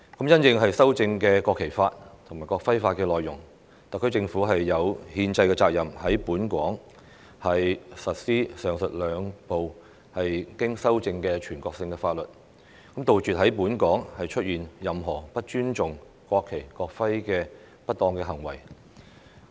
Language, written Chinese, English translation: Cantonese, 因應修正的《國旗法》及《國徽法》內容，特區政府有憲制責任在本港實施上述兩部經修正的全國性法律，杜絕在本港出現任何不尊重國旗、國徽的不當行為。, In light of the amended National Flag Law and National Emblem Law the SAR Government has the constitutional responsibility to implement locally the two amended national laws mentioned above to prevent any improper practices in Hong Kong that do not respect the national flag or national emblem